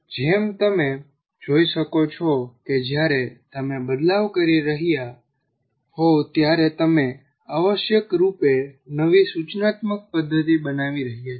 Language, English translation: Gujarati, So as you can see when you are tweaking you are creating essentially new instructional method